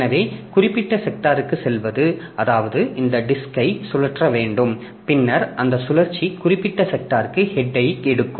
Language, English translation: Tamil, So, going to the particular sector, that means this disk has to be rotated and then that rotation will take the head to the particular sector